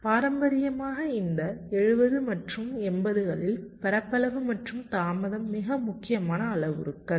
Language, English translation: Tamil, traditionally in this seventies and eighties, area and delay were the most important parameters